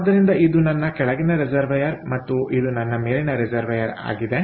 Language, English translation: Kannada, so this is my base reservoir and this is my top reservoir